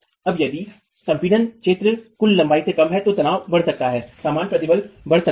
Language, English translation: Hindi, Now if the compressed area is less than the total length, then the stress can increase, the normal stress can increase